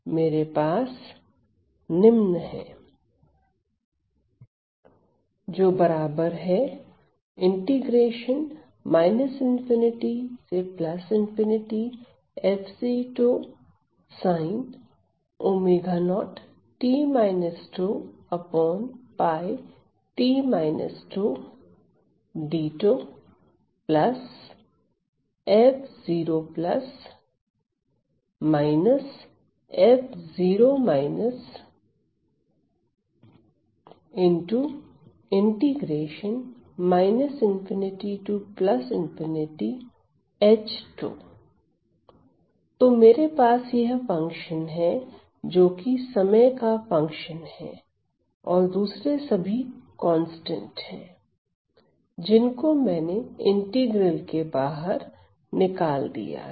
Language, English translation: Hindi, So, I have this function which is a function of time and the others which are constant I have taken it out of the integral right